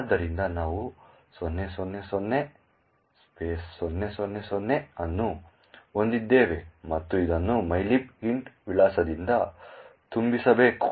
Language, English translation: Kannada, So, we have 0000 0000 and this should be actually filled with the address of mylib int